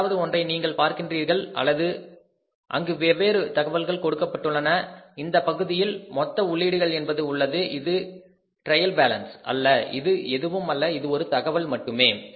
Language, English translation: Tamil, Now here you look at that number one here is that is the different information given here is we have on this side the total inputs means it is not a trial balance is nothing is only a information